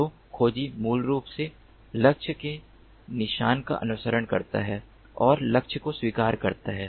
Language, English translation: Hindi, so tracker basically follows the trail of the target and intercepts the target